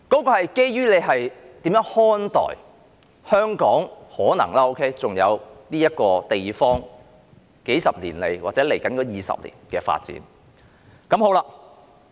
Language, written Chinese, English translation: Cantonese, 這是基於我們如何看待香港可能尚餘的這個地方，在數十年來，或者在接下來20年的發展。, This is based on how we look at the development of this place that is possibly left in Hong Kong in the past few decades or in the next score of years